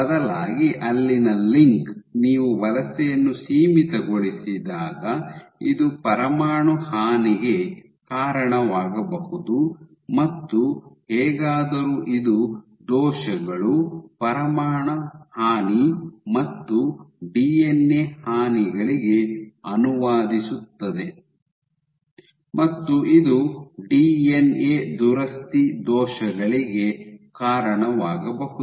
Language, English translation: Kannada, So, instead a link there, is it possible that when you have migration confined migration can this lead to nuclear damage and somehow this translate into defects, nuclear damage and DNA damage and can it lead to defects in DNA repair ok